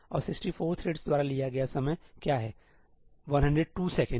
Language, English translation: Hindi, And what is the time taken by 64 threads 102 seconds